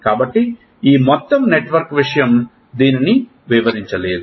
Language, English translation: Telugu, So, this whole network thing does not explain this